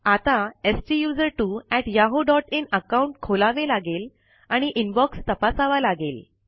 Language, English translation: Marathi, We have to open the STUSERTWO@yahoo.in account and check the Inbox